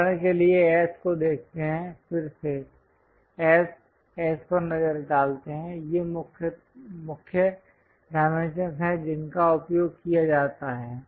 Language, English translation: Hindi, For example, let us look at S, S again S, S so; these are the main dimensions one uses